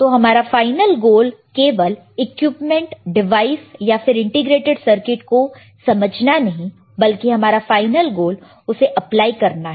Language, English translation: Hindi, So, the final goal is not to understand just the equipment or just the devices or just the integrated circuits final goal is to apply it